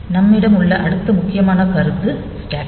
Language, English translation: Tamil, The next important concept that we have is the stack